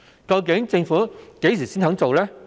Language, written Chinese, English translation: Cantonese, 究竟政府何時才肯做？, When will the Government be willing to make reforms?